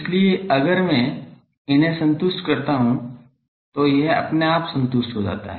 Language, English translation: Hindi, So, if I satisfy these this gets automatically satisfied ok